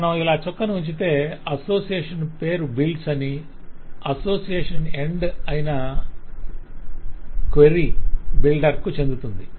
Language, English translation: Telugu, so if we dot like this, the name of the association is builds and so the association end, query the name of this end is query is owned by the query builder